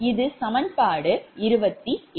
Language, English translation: Tamil, this is equation twenty five